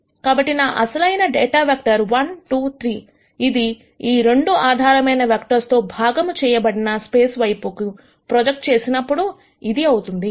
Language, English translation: Telugu, So, my original data vector 1 2 3, when it is projected onto a space spanned by these 2 basis vectors becomes this